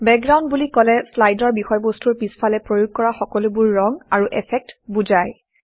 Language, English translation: Assamese, Background refers to all the colors and effects applied to the slide, which are present behind the content